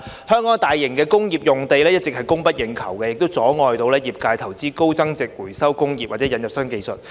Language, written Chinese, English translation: Cantonese, 香港大型工業用地一直供不應求，阻礙業界投資高增值回收工業或引入新技術。, The persistent shortage of large - scale industrial sites in Hong Kong has prevented the sector from investing in high value - added recycling industries or introducing new technologies